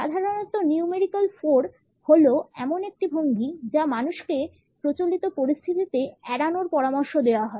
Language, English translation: Bengali, Numerical 4 is normally the posture which people are advised to avoid during formal situations